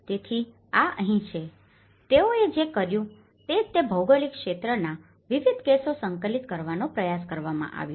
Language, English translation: Gujarati, So, this is here, what they did was they tried to compile a variety of cases in that particular geographical region